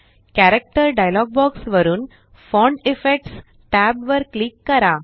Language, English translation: Marathi, From the Character dialog box, click Font Effects tab